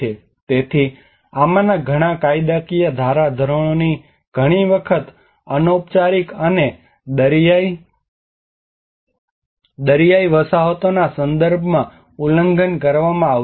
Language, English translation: Gujarati, So many of these legislative norms were often violated in the context of informal and coastal settlements